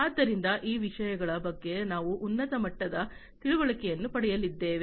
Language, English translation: Kannada, So, these things we are going to get a high level understanding about